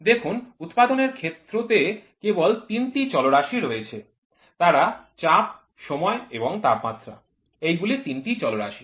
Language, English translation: Bengali, See, in manufacturing there are only three parameters, they are pressure, time and temperature these are the three parameters